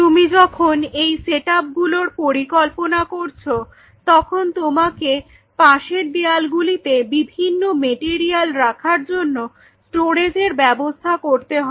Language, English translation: Bengali, While you are planning this setup on the walls of these sides you will have storage of materials